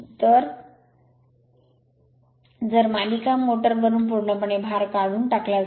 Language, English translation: Marathi, So, if the load is removed from the series motor completely